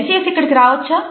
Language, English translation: Telugu, Can I get in here please